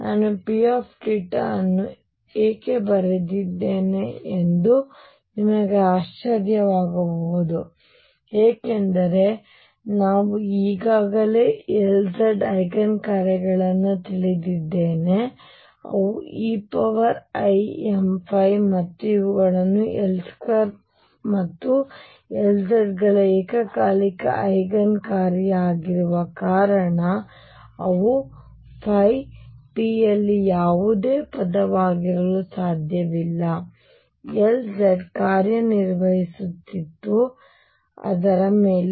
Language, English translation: Kannada, You may wonder why I wrote P theta that is because I already know the L z Eigen functions and those are e raised to i m phi and since these are simultaneous Eigenfunctions of L square and L z they cannot be any phi term in P